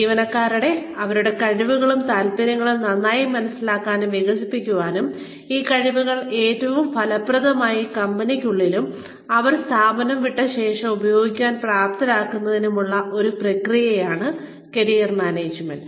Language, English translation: Malayalam, Career Management is a process, for enabling employees, to better understand and develop their skills and interests, and to use these skills, most effectively within the company, and after they leave the firm